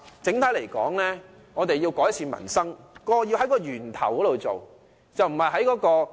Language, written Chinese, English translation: Cantonese, 整體來說，我們要改善民生，便應在源頭着手。, Overall speaking if we want to improve peoples livelihood we should so so at source